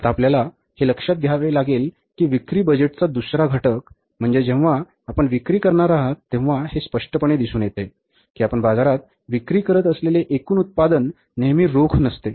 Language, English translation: Marathi, Now you will have to see that second component of the sales budget is that when you are going to sell, it's very obvious that total production going to market, you are selling in the market is not always on cash